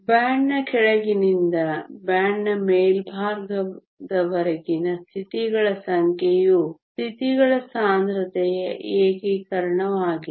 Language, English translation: Kannada, The number of states from the bottom of the band to the top of the band is nothing but an integration of the density of states